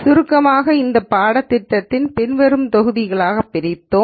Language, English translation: Tamil, In summary we broke down this course into the following modules